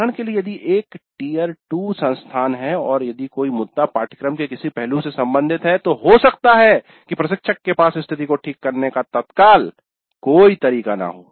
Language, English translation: Hindi, For example if it is a tire to institute and if it is an issue related to certain aspect of the syllabus then the instructor may not have an immediate way of remedying that situation